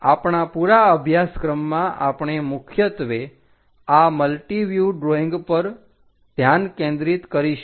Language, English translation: Gujarati, In our entire course, we will mainly focus on this multi view drawings